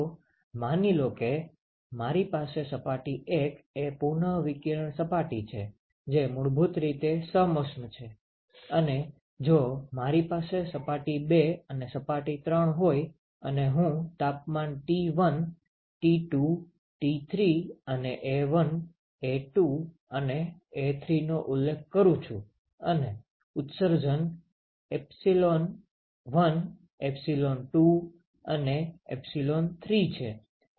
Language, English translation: Gujarati, So, suppose I have a; so suppose surface 1 is the re radiating surface, which is basically adiabatic, and if I have surface 2 and surface 3 and I specify the temperatures T1, T2, T3, A1, A2, and A3 and the emissivity is epsilon1, epsilon2 and epsilon3